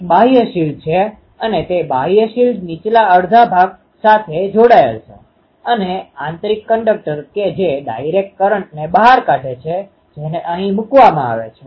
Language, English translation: Gujarati, There is an outer shield and that outer shield is connected to the lower half and the inner conductor that is taken out the direct conductor is put here